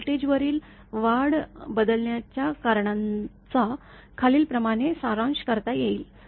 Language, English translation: Marathi, The causes of switching surge over voltages can be summarized as follows